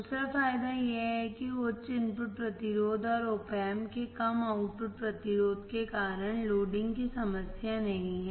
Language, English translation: Hindi, Second advantage is there is no loading problem because of high input resistance and lower output resistance of Op Amp